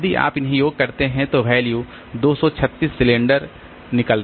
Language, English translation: Hindi, So, if you sum them up in this way that value turns out to be 236 cylinder